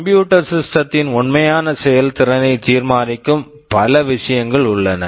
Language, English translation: Tamil, There are many other things that determine the actual performance of a computer system